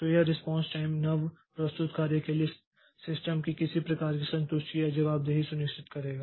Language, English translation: Hindi, So, this response time will ensure some sort of satisfaction or responsiveness of the system to the newly submitted jobs